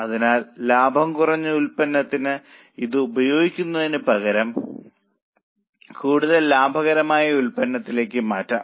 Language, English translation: Malayalam, So, instead of using it for less profitable product, it can be transferred for more profitable product